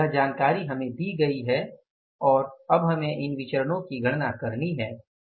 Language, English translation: Hindi, Now this information is given to us and now we have to calculate these variances